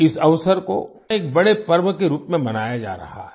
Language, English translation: Hindi, This occasion is being celebrated as a big festival